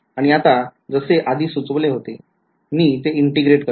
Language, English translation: Marathi, And now as already been suggested I integrate right